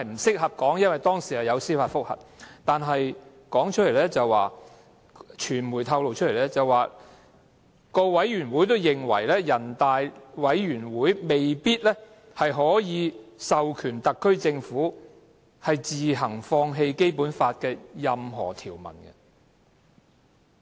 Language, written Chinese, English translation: Cantonese, 據報，該會的相關委員會也認為，全國人民代表大會常務委員會未必可以授權特區政府自行放棄《基本法》的任何條文。, But according to the relevant media reports the said Committee of the Bar Association is also of the view that it may not be possible for the Standing Committee of NPC to authorize the HKSAR Government to give up of its own accord the rights to exercise certain articles of the Basic Law